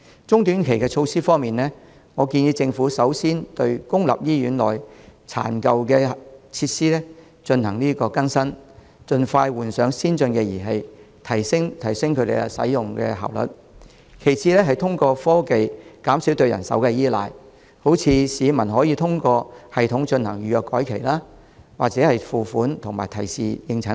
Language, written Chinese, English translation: Cantonese, 中短期措施方面，建議政府首先對公立醫院內殘舊的設施進行更新，盡快換上先進儀器，提升使用效率；其次是通過科技減少對人手的依賴，例如市民可以通過系統進行預約改期、付款及提示應診等。, As regards medium to short - term measures the Government is advised to first update the old and worn out facilities in public hospitals or replace them with advanced equipment in order to achieve greater efficiency . Besides it should reduce reliance on manpower through technology . For instance through a certain system the public can make and change medical appointments make payments and be reminded of the appointments